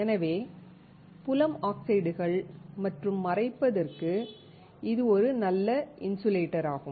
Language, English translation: Tamil, Thus, it is a good insulator for field oxides and masking